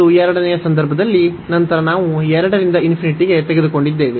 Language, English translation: Kannada, And in the second case, then we have taken from 2 to infinity